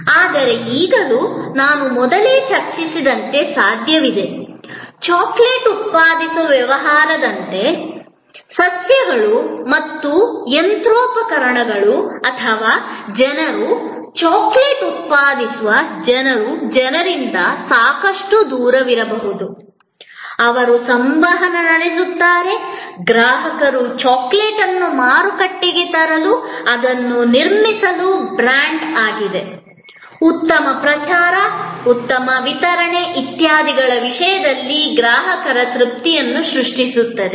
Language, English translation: Kannada, But, still there, it is possible as I discussed earlier once, that like in a business producing chocolate, the plants and machinery or the people, who are producing the chocolate could be quite distinctly away from the people, who would be interacting with the customers to market the chocolate, to build it is brand, to create customer satisfaction in terms of good promotion, good delivery, etc